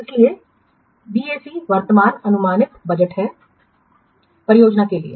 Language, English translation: Hindi, So here also BAC is the what current projected budget for the project